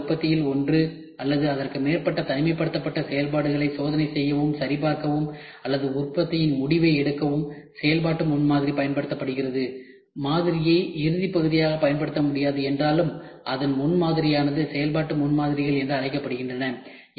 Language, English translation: Tamil, Functional prototype is applied to allow checking and verifying one or more isolated functions of the later product or to make the production decision, even though the model cannot be used as a final part those prototype are called as functional prototypes